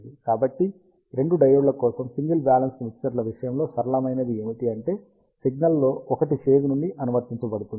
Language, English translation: Telugu, So, simple in case of single balanced mixers for two of the diodes, one of the signal was applied out of phase